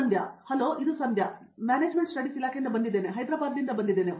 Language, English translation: Kannada, Hello this is Sandhya, I am from the Department of Management Studies, I am from Hyderabad